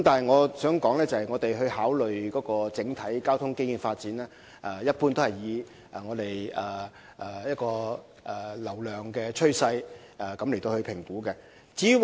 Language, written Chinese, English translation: Cantonese, 我想指出，局方考慮整體交通基建發展時，一般會根據流量趨勢進行評估。, I would like to point out that in considering the overall transport infrastructure developments the Bureau will in general conduct assessments in the light of the traffic trend